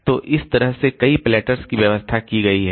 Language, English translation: Hindi, So, this is so we have got a number of platters arranged like this